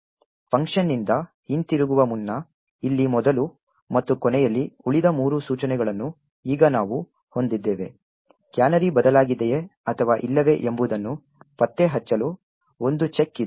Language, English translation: Kannada, Now we have the rest of three instructions as was here before and at the end just before the return from the function there is a check which is done to detect whether the canary has changed or not